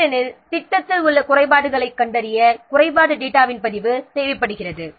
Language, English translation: Tamil, Because a record of the defect data is needed for tracking the defects in the project